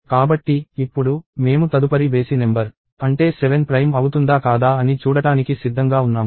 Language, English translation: Telugu, So, now, we are ready to see whether the next odd number, which is 7 is prime or not